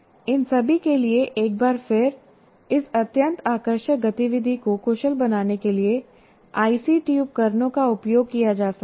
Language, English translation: Hindi, And for all this, once again, ICT tools can be used to make this very, very engaging activity efficient